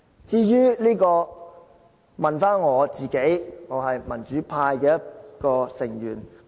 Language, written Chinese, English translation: Cantonese, 至於我問我自己，我是民主派成員之一。, As for myself I am a member of the democratic camp